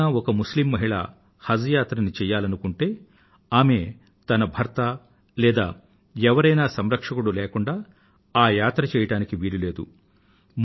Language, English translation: Telugu, It has come to our notice that if a Muslim woman wants to go on Haj Pilgrimage, she must have a 'Mehram' or a male guardian, otherwise she cannot travel